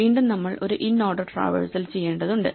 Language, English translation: Malayalam, So, again we have to do a inorder traversal